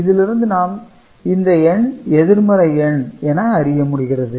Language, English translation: Tamil, So, this is the positive number